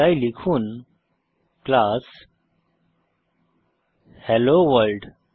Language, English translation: Bengali, So type class HelloWorld